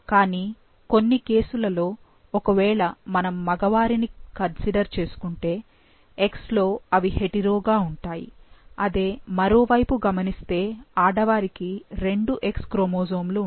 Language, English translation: Telugu, But, there are some cases like, if we consider male, for X they are hetero, and for on this or like other, on the other hand, females they have two X chromosomes